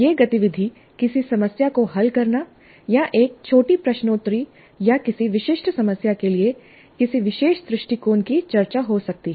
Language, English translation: Hindi, This activity could be solving a problem or a small quiz or discussion of a particular approach to a specific problem